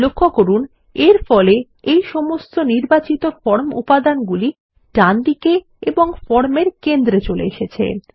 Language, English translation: Bengali, Notice that this moves all the selected form elements towards the right and the centre of the form